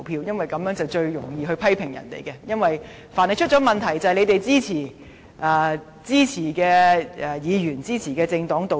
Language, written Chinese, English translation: Cantonese, 因為這做法最容易，凡是出了問題，他便批評是支持的議員、支持的政黨導致。, Indeed this is the easiest way for if there is any problem he may blame Members or political parties who have voted for the questions for causing the problem